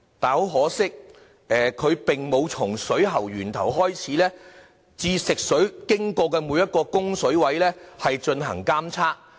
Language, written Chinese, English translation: Cantonese, 很可惜，當局並沒有從食水源頭開始至食水流經的每一個供水位進行監測。, Regrettably the water quality monitoring does not cover each and every water outlet from source to tap where the fresh water passes through